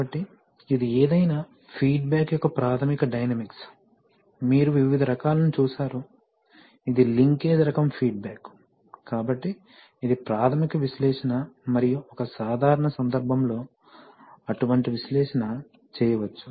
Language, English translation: Telugu, So, this is the this is the basic dynamics of any feedback of, you have seen various kinds of, you know link linkage type of feedback arrangements, so this is the basic analysis of one such feedback arrangement and in a typical case, such analysis can be made, ok